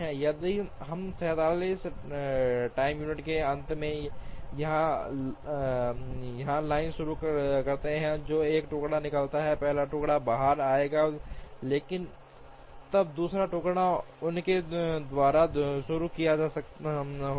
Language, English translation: Hindi, If, we start the line here at the end of 47 time units one piece will come out, the first piece will come out, but then the second piece would have started by them